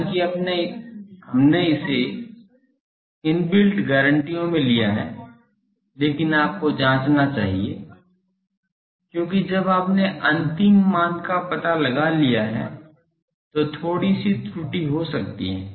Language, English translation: Hindi, Though, we have taken it in the that guarantees inbuilt, but you should check, because when you have found out the final one, there may be slight error